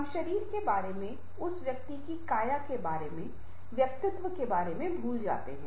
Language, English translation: Hindi, we forget about the personality, about the body, about the physique of that person